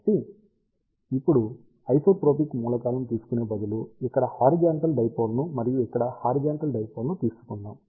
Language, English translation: Telugu, So, now, instead of taking isotropic elements, let us take horizontal dipole over here and horizontal dipole over here